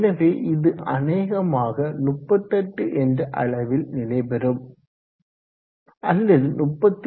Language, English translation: Tamil, 4, so it will probably stabilize at around 38 or so yeah around 38 38